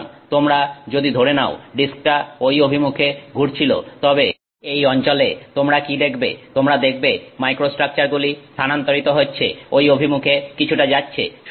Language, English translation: Bengali, So, if you assume that, if you assume that the disk was rotating in that direction, then what you will see is in this region you will see the microstructure having shifted gone in that, somewhat in that direction